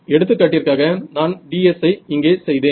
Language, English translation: Tamil, So, if I did for example, ds over here